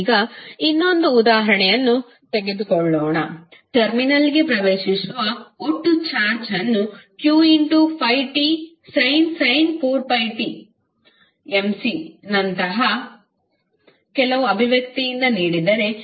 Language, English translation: Kannada, Now, let us take another example, if the total charge entering a terminal is given by some expression like q is equal to 5t sin 4 pi t millicoulomb